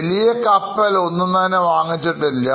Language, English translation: Malayalam, So, no major ship they have acquired